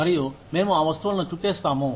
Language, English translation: Telugu, And, we would wrap those things